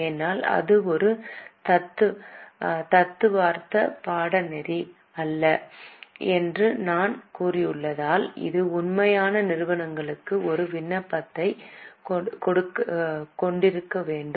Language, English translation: Tamil, Because as I have said this is not a theoretical course, it should have an application for the actual companies